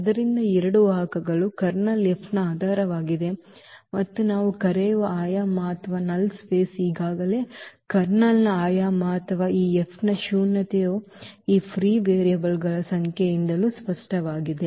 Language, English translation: Kannada, So, these two vectors form the basis of the of the Kernel F and the dimension or the nullity which we call is already there the dimension of the Kernel or the nullity of this F which was clear also from the number of these free variables which are 2 here